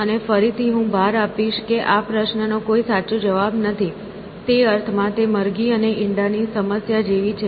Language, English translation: Gujarati, And, again I will emphasize that there is no correct answer to this question; in the sense that it is like the chicken and egg problem